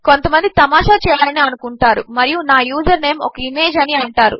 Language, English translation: Telugu, So you know some people can be funny and say my username is going to be an image